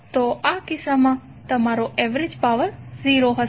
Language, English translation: Gujarati, So in this case your average power would be 0